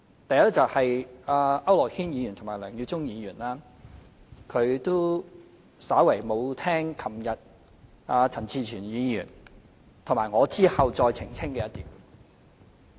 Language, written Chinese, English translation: Cantonese, 第一，區諾軒議員和梁耀忠議員沒有聽清楚昨天當陳志全議員發言後我澄清的一點。, First Mr AU Nok - hin and Mr LEUNG Yiu - chung did not hear clearly the point I clarified after Mr CHAN Chi - chuens speech yesterday